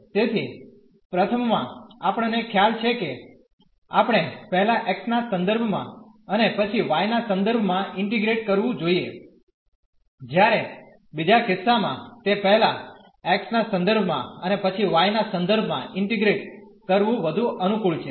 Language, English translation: Gujarati, So, in the first one we have realize that, we should first integrate with respect to x and then with respect to y while, in the second case it is much more convenient to first integrate with respect to x and then with respect to y